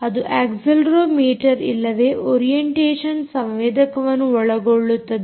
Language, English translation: Kannada, it could include accelerometer or an orientation sensor